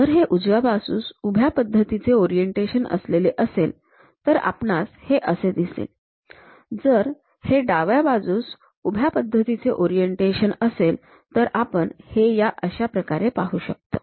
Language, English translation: Marathi, If it is right hand vertical face the orientation, then we will see this one; if it is a left hand vertical face, we will see it in this way